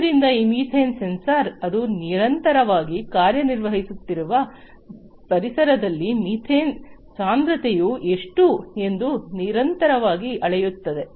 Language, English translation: Kannada, So, this methane sensor; basically continuously measures that how much is the methane concentration in the environment in which it is operating